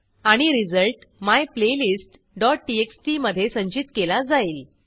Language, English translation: Marathi, And the result is stored in myplaylist.txt